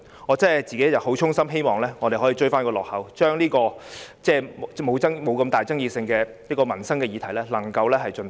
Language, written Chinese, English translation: Cantonese, 我衷心希望我們可以追回落後的產假，盡快通過爭議沒那麼大的民生議題。, I earnestly hope that our outdated maternity leave arrangement can catch up with those of others and that we can expeditiously endorse livelihood measures that are less controversial